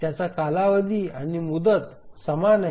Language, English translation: Marathi, Its period and deadline are the same